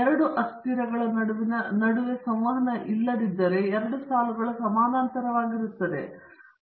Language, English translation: Kannada, If there had been no interaction between the two variables then the two lines would have been parallel